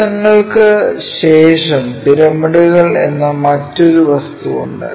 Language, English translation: Malayalam, After prisms there is another object what we call pyramids